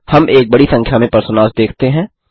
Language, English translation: Hindi, We see a large number of personas here